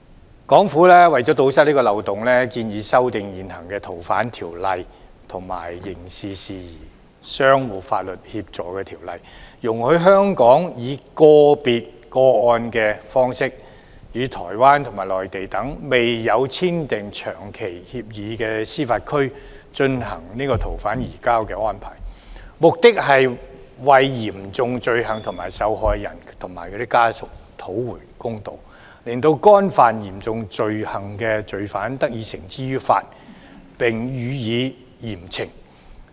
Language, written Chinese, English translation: Cantonese, 香港政府為了堵塞這個漏洞，建議修訂現行《逃犯條例》及《刑事事宜相互法律協助條例》，容許香港以個別個案的形式，與台灣及內地等未有簽訂長期移交逃犯協定的司法管轄區進行逃犯移交安排，目的是為嚴重罪行的受害人及其家屬討回公道，令干犯嚴重罪行的罪犯得以繩之以法，並予以嚴懲。, To plug this loophole the Hong Kong Government proposes to amend the Fugitive Offenders Ordinance and the Mutual Legal Assistance in Criminal Matters Ordinance allowing Hong Kong to make SFO arrangements in a case - based manner with jurisdictions such as Taiwan and the Mainland which have not entered into long - term SFO agreements with Hong Kong . The purpose is to do justice to victims of serious crimes and their families and to administer severe punishment to offenders of serious crimes